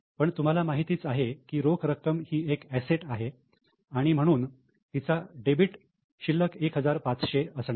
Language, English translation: Marathi, But since you know that cash is an asset, it is going to have a debit balance of 1,500